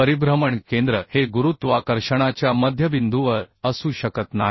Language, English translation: Marathi, therefore, the center of rotation cannot be uhh at the center of gravity, at the mid point